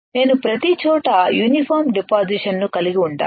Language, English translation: Telugu, I need to have a uniform deposition everywhere